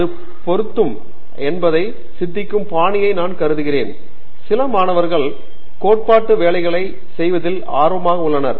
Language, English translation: Tamil, I think the style of thinking whether it matches, some students are really inclined towards doing carrying out theoretical work